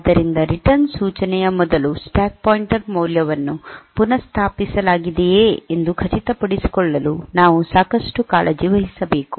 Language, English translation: Kannada, So, we should be taking enough care, to ensure that the stack pointer value is restored before the return instruction